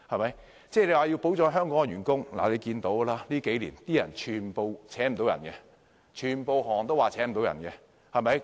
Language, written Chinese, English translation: Cantonese, 勞工界朋友說要保障香港員工，但大家看到近年很多行業也聘請不到員工。, While people from the labour sector stress the need to protect local workers we notice that many industries have encountered great difficulties in hiring workers in recent years